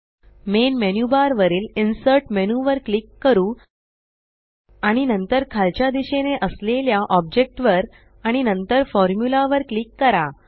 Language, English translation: Marathi, Let us click on the Insert menu on the main menu bar, and then Object which is toward the bottom and then click on Formula